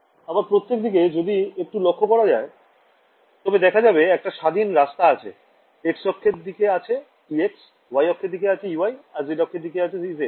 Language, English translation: Bengali, Further you can see that in each direction, I have independent knobs, in x I have e x, in y I have e y, in z I have e z right